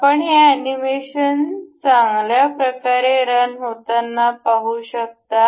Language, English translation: Marathi, You can see this animation running well and fine